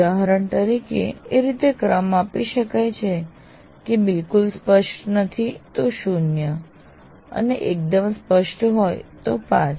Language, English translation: Gujarati, For example, you can rate it as not clear at all, zero, very clear is five